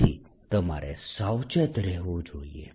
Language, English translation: Gujarati, so one has to be careful